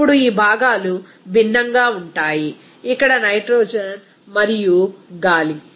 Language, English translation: Telugu, Now, these components are different, nitrogen and air here